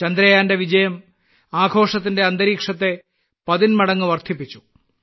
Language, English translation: Malayalam, The success of Chandrayaan has enhanced this atmosphere of celebration manifold